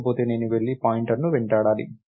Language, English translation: Telugu, If not, I have to go and chase the pointer